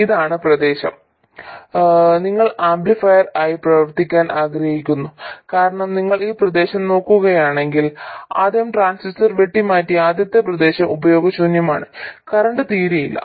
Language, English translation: Malayalam, And this is the region you would like to operate as an amplifier because if you look at this other region, first of all the first region where the transistor is cut off this is useless